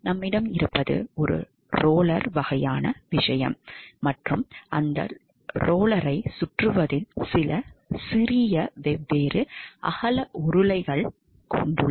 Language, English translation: Tamil, So, what we have is a rotating a roller kind of thing and in that rotating a roller itself we have some small different wide rollers also you can see